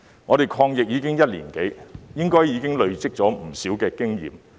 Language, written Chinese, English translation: Cantonese, 我們抗疫已經一年多，應當累積了不少經驗。, As we have been fighting the epidemic for more than a year we should have accumulated a lot of experience